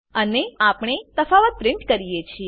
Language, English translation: Gujarati, And here we print the difference